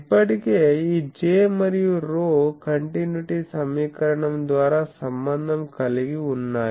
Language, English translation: Telugu, Now already these J and rho are related by continuity equation